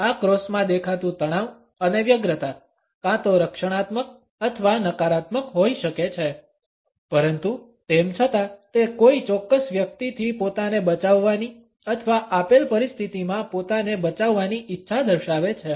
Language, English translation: Gujarati, The tension and anxiety which is visible in these crosses can be either protective or negative, but nonetheless it exhibits a desire to shield oneself from a particular person or to shield oneself in a given situation